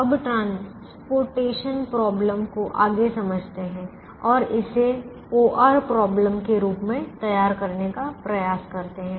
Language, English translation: Hindi, now let's understand the transportation problem further and let's try to formulate this as an o